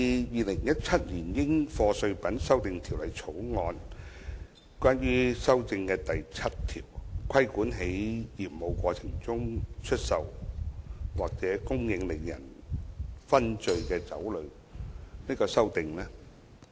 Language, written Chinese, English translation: Cantonese, 《2017年應課稅品條例草案》第7條的擬議修訂旨在規管在業務過程中出售或供應令人醺醉的酒類。, The proposed amendments under clause 7 of the Dutiable Commodities Amendment Bill 2017 the Bill aim to regulate the sale or supply of intoxicating liquor in the course of business